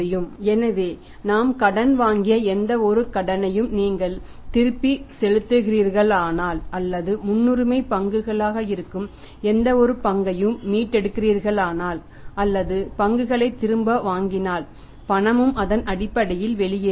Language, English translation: Tamil, So, if you are repaying any loan which we have borrowed or we are redeeming any bonds share that is a preference shares or buying back the equity shares, any cash cash is flowing out on account of that is known as the cash outflow on account of the financing activities